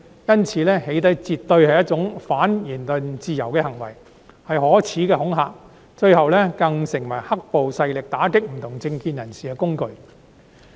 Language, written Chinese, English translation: Cantonese, 因此，"起底"絕對是一種反言論自由的行為，是可耻的恐嚇，最後更成為"黑暴"勢力打擊不同政見人士的工具。, Therefore doxxing is definitely an act against freedom of speech . It is a shameful intimidation that has eventually become a tool for black - clad violence perpetrators to combat political dissidents